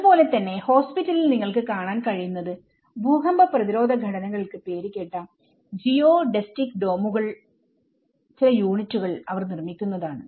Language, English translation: Malayalam, And similarly, in the hospital what you can see is that they are building some units of the geodesic domes which has known for its earthquake resistant structure and which will have less area and more volume